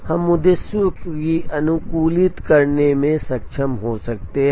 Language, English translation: Hindi, We may be able to optimize the objectives